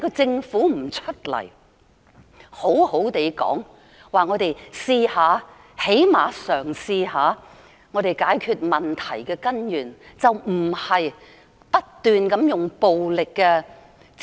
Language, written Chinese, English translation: Cantonese, 政府該說句："讓我們嘗試——至少嘗試一下——解決問題的根源"，而不是不斷地使用暴力的......, The Government should say Let us try―it should at least give it a try―to solve the problem at root . It should not keep using violence I mean it should not adopt forceful means to eliminate those who bring up a problem